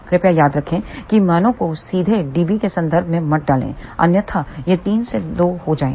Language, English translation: Hindi, Again please remember do not put the values directly in terms of dB otherwise this would become 3 minus 2